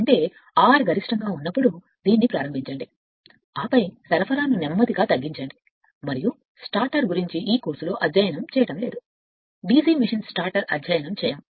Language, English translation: Telugu, When ; that means, what; that means, your you start this where R is maximum right and then slow when and some give the supply and regarding starter is not study in this course, DC machine starter will not study